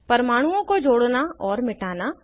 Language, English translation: Hindi, * Add and delete atoms